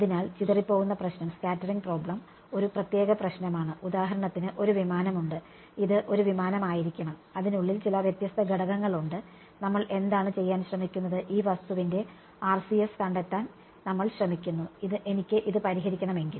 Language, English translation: Malayalam, So, scattering problem a typical problem is for example, there is a aircraft right, this is supposed to be an aircraft and it has some various components inside it and what are we trying to do, we are trying to find out the RCS of this object now, if I were to solve this